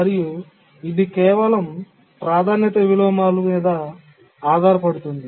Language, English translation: Telugu, So, this is a simple priority inversion